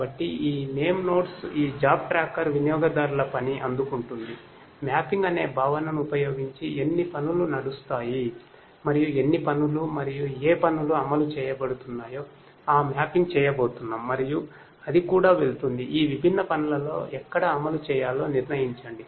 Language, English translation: Telugu, So, these name nodes these job tracker will receive the users job will decide on how many tasks will run using, the concept of mapping and how many jobs and which jobs are going to run that mapping is going to be done and it is going to also decide on where to run in each of these different jobs